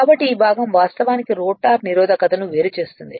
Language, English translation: Telugu, So, this part actually separated the rotor resistance is separated right